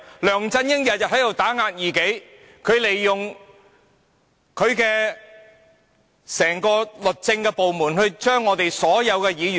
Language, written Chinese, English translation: Cantonese, 梁振英每天都在打壓異己，利用整個律政部門去逐一 DQ 所有議員。, LEUNG Chun - ying oppresses his opponents every day using the Department of Justice to disqualify one Member after another